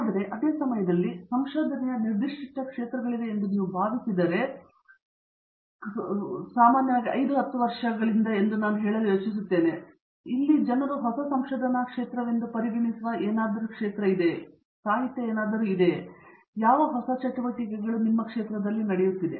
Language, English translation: Kannada, But at the same time, I mean are there areas of research that you feel have really come up in the last letÕs say 5, 10 years which would be, which people I mean consider as a newer areas of research, where may be there is not enough literature from the past and where there lot of new activity going on